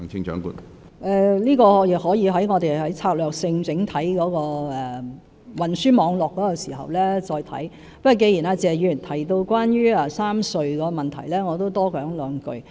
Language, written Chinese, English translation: Cantonese, 我們可以在策略性研究整體運輸網絡時再考慮這個問題，但既然謝議員提到3條隧道的問題，我也想多說兩句。, We can consider this issue in the strategic study of the overall transport network . However since Mr TSE mentioned the issue of the three tunnels I would like to say a few words more